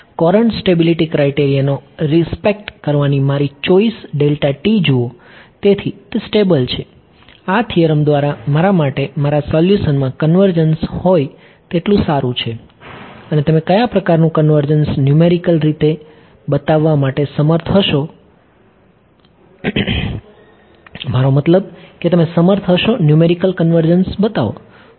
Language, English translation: Gujarati, Look my choice of delta t respect the courant stability criteria therefore, it is stable, by this theorem it is good enough for me to have a convergence in my solution and what kind of convergence will you be able to show numerically I mean you will be able to show numerical convergence